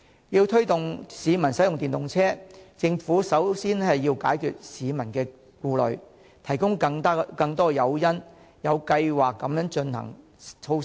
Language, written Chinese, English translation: Cantonese, 要推動市民使用電動車，政府首先要解決市民的顧慮，提供更多誘因並有計劃地落實措施。, In order to encourage citizens to use EVs the Government should first dispel their worries by providing more incentives and implementing those measures in a well - planned manner